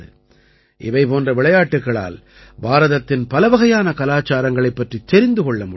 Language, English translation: Tamil, After all, through games like these, one comes to know about the diverse cultures of India